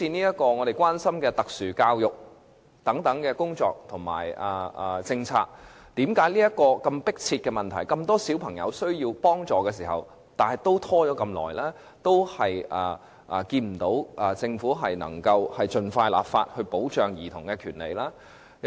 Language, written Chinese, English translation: Cantonese, 又像我們關心的特殊教育工作及政策，為甚麼問題這麼迫切，而且這麼多小朋友需要幫助，但仍然照樣拖延，看不到政府盡快立法保障兒童的權利。, Although the special education initiative and policy which are a concern to us are very urgent and many children are in need of assistance why does the Government continue to procrastinate and fail to enact legislation expeditiously to protect childrens rights?